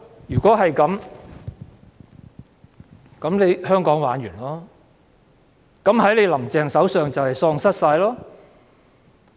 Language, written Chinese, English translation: Cantonese, 如果這樣，那麼香港便完蛋了，香港便會在"林鄭"手上喪失一切。, If that is what the people think Hong Kong will be doomed and it will lose everything in Carrie LAMs hands